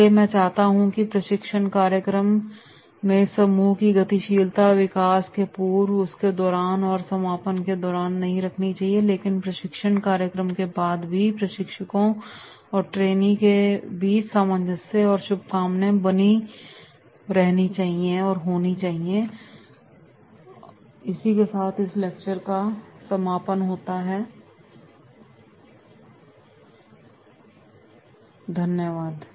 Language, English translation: Hindi, So, I wish that is the group dynamics in the training program will not be only the pre and during development and during concluding, but even after the training program there will be the cohesiveness and the well wishes amongst the trainers and trainees, thank you